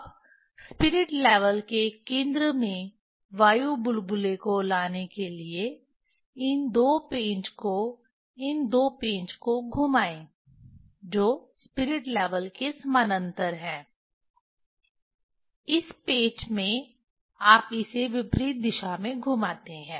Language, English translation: Hindi, Now, to bring the air bubble at the centre of the spirit level, turn these two screw these two screw this which are parallel to the spirit level in this screw you rotate it in opposite direction